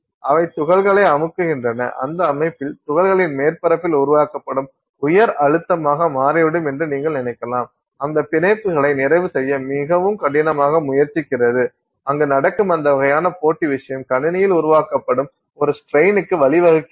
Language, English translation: Tamil, In that system it turns out that you can think of it as a high pressure that is being generated on the surface of the particle trying very hard to saturate those bonds that, that I know sort of competitive thing that is happening there leads to a strain that is being generated in the system